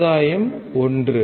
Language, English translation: Tamil, Gain is 1